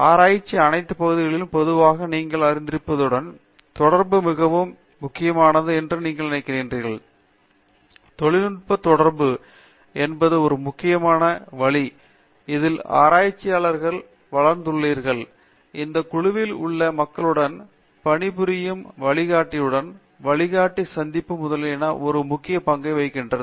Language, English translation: Tamil, Generally you know all areas of research we always feel that you know interaction is a very important, technical interaction is a very important way in which people grow as researchers and in that you know working with the people in the group, working with the guide, meeting the guide etcetera plays a very important role